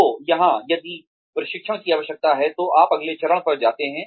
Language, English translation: Hindi, So here, if the training need exists, then you move on to the next step